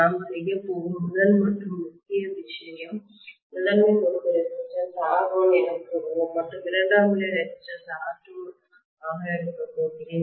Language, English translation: Tamil, The first and foremost thing we are going to do is to include, so let us say primary winding resistance, let me take that as some R1 and secondary resistance I am going to take as R2, okay